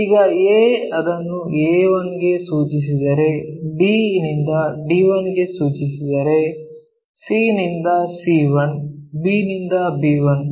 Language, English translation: Kannada, Now, a if it is mapped to a 1, d mapped to d 1, c to c 1, b to b 1